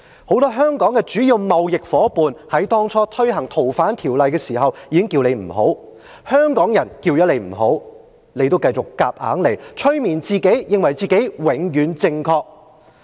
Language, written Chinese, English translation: Cantonese, 很多香港的主要貿易夥伴在推行《逃犯條例》初期已經呼籲不要這樣做，香港人說不要這樣做，但特首仍然強推硬上，催眠自己認為自己永遠正確。, Many of Hong Kongs major trading partners already urged the Government not to introduce the amendments to the Fugitive Offenders Ordinance at the early stage . Hong Kong people also warned the Government not to do so . But the Chief Executive still insisted on pushing forward the bill by hypnotizing herself that she was always right